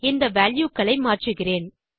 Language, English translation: Tamil, Im going to change these values